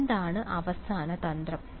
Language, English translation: Malayalam, What is the final trick